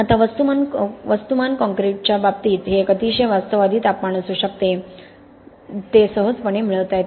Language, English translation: Marathi, Now in case of mass concreting this can be a very realistic temperature, it can easily be obtained